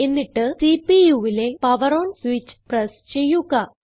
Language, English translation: Malayalam, And then press the POWER ON switch, on the front of the CPU